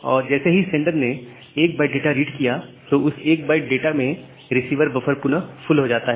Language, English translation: Hindi, And once it sends 1 byte of data with that 1 byte of data again the receiver buffer becomes full